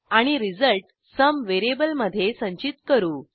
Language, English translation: Marathi, And store the result in variable sum